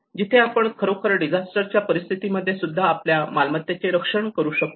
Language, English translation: Marathi, Where we can actually safeguard our properties even in the case of disasters